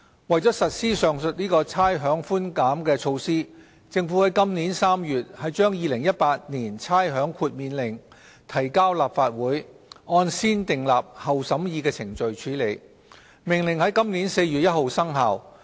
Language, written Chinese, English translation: Cantonese, 為了實施上述的差餉寬減措施，政府於今年3月把《2018年差餉令》提交立法會，按先訂立後審議的程序處理，《命令》在今年4月1日生效。, In order to implement the aforesaid rates concession measure the Government tabled the Rating Exemption Order 2018 the Order in the Legislative Council in March this year for negative vetting . The Order took effect on 1 April this year